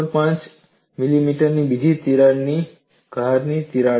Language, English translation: Gujarati, 5 millimeter here, another edge crack of 8